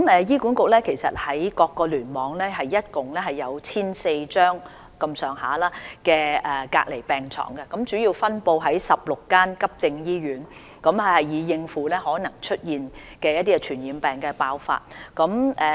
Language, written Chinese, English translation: Cantonese, 醫管局各個聯網合共設有約 1,400 張隔離病床，主要分布於16間急症醫院，用以應付可能出現的傳染病爆發情況。, There are 1 400 isolation beds in total in the various clusters under HA which are mainly located in 16 acute hospitals to cope with the possible outbreak of infectious diseases